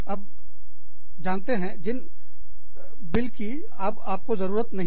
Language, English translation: Hindi, You know, bills, that are no longer needed